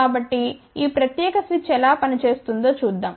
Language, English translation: Telugu, So, let us see how this particular switch works